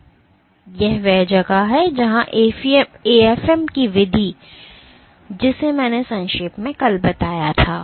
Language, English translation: Hindi, And this is where the method of AFM which I briefly touched upon yesterday would come in